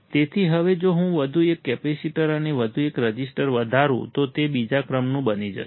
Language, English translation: Gujarati, So, now, if I increase one more capacitor and one more resistor, it will become second order